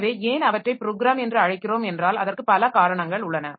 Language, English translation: Tamil, So, why do we call them as program because of several reasons